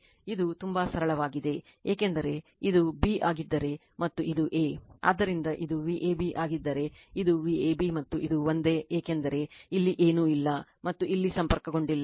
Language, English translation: Kannada, It is very simple because if this is your this is your b and this is your a right, so if it is if this is your V ab right, this is your V ab and this same because no anyway nothing is connected here and this